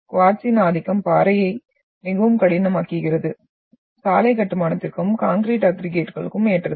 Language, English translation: Tamil, So predominant of quartz makes the rock very hard, suitable for road construction and concrete aggregates